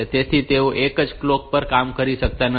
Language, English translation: Gujarati, So, they may not be operating on the same clock